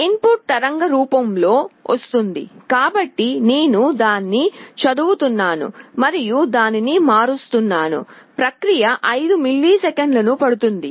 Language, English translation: Telugu, My input waveform is coming, I am reading it, and converting it the process takes 5 milliseconds